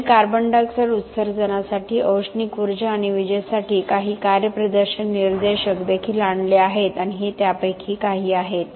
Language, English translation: Marathi, They have also come up with certain performance indicators for the CO2 emissions, for thermal energy and electricity and this are some of them